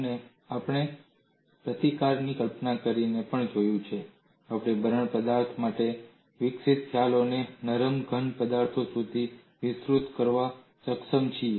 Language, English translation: Gujarati, And we have also looked at by conceptualizing resistance we have been able to extend whatever the concepts developed for brittle materials to ductile solids